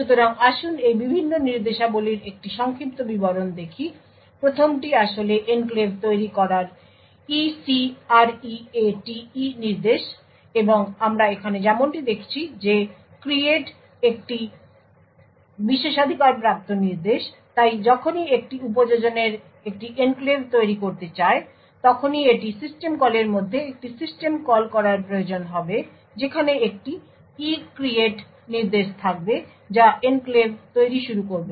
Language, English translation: Bengali, So let us look at an overview of this various instructions, the first one is actually to create the enclave that is the ECREATE instruction and as we see over here create is a privileged instruction so whenever an application wants to create an enclave it would require to call make a system call within the system call there would be an ECREATE instruction which would initialize initiate the enclave creation